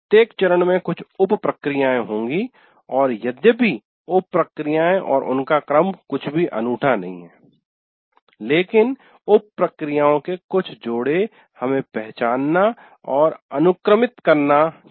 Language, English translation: Hindi, Every phase will have some sub processes and though this the sub processes and their sequence is not anything unique, but some set of sub processes we have to identify and also sequence them